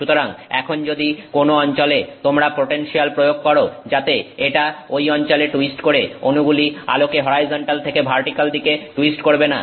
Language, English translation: Bengali, So now if you do, if you apply the potential in some regions such that this twist in those regions the molecule will not twist the light from horizontal to vertical